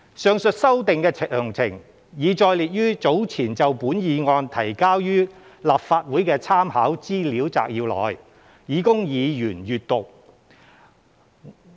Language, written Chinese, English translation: Cantonese, 上述修訂的詳情，已載列於早前就本議案提交予立法會的參考資料摘要內，以供議員閱覽。, Details of the above amendments are set out in the Legislative Council Brief submitted earlier for this resolution for Members reference